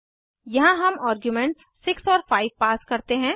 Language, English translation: Hindi, Here we pass arguments as 6 and 5